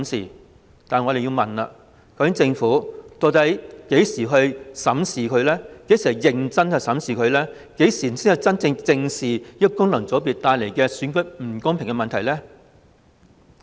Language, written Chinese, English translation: Cantonese, 然而，我們要問政府，究竟何時才會認真審視，何時才會正視功能界別帶來的選舉不公問題？, We thus have to ask the Government When will a serious review be conducted? . When will the problem of unfairness in election brought about by FCs be addressed?